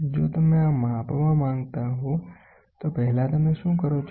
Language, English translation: Gujarati, If you want to measure so, first what do you do